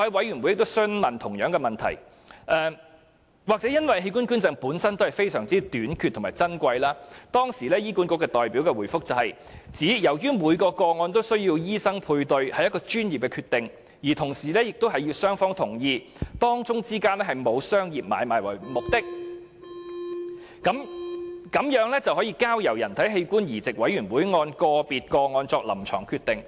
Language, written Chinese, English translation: Cantonese, 也許由於器官捐贈本身是相當短缺和珍貴的安排，當時的醫管局代表答稱，每宗個案均需要由醫生配對，屬於專業決定，同時亦需要雙方同意。因此，只要不含商業買賣的目的，便可交由人體器官移植委員會按個別個案作出臨床決定。, Perhaps because the arrangement involves extremely rare and precious organ donations the Hospital Authority representative gave the following reply Every matching must be done by a medical practitioner based on professional judgment and with the consent of both parties; as long as no commercial dealings are involved a case can be referred to the Board which will make a clinical decision based on the circumstances of the case